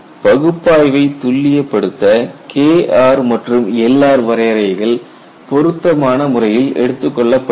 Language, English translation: Tamil, And to refine the analysis, the K r and L r definitions are suitably taken